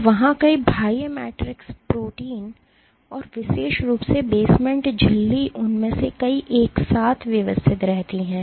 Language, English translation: Hindi, So, there are several extracellular matrix proteins and basement membrane in particular has multiple of them arranged together